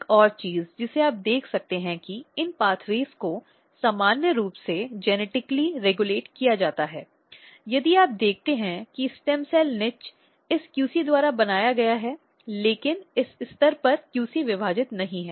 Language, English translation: Hindi, Another thing you can see these pathways are also tightly regulated genetically, but in normal condition if you look stem cell niche is basically maintained by this QC, but at this stage QC is not dividing